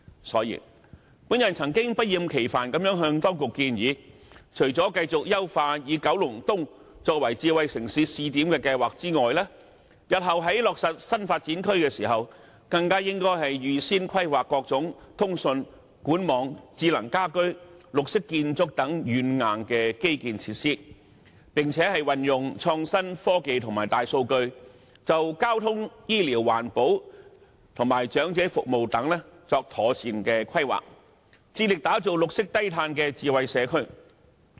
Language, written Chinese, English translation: Cantonese, 所以，我曾經不厭其煩地向當局建議，除了繼續優化以九龍東作為智慧城市試點的計劃外，日後在落實新發展區計劃時，更應該預先規劃各種通訊、管網、智能家居及綠色建築等軟硬基建設施，並運用創新科技和大數據，就交通、醫療、環保和長者服務等作妥善規劃，致力打造綠色低碳智慧社區。, Hence I have made untiring efforts to recommend that apart from further enhancing the scheme to make Kowloon East a pilot smart city the authorities should during the future implementation of New Development Areas projects plan ahead for various infrastructural software and hardware such as communications pipe networks smart homes and green architecture and make proper planning for transport health care environmental protection elderly services etc . with the use of innovation and technology and big data striving to develop a low - carbon green and smart community